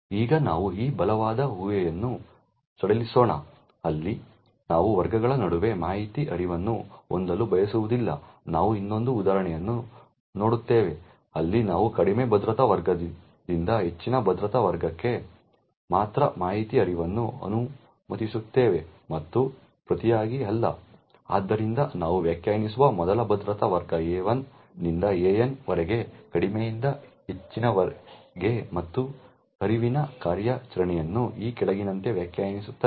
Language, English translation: Kannada, Now let us relax this strong assumption where we do not want to have information flow between classes, we will see another example where we only permit information flow from a lower security class to a higher security class and not vice versa, so as before we define security class A1 to AN ranging from low to high and define the flow operation as follows